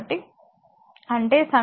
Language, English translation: Telugu, This is your equation 2